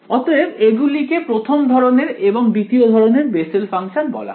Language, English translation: Bengali, So these are called Bessel functions of the first kind and of the second kind ok